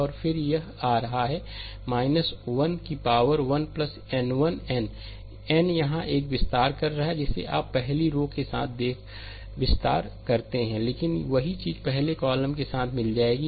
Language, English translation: Hindi, And then it is coming minus 1 the power 1 plus n 1 n this is expanding your what you call expanding along the first row, but the same thing will get along the first column